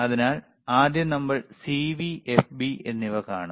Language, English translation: Malayalam, So, if we see first thing is CV, then we have FB,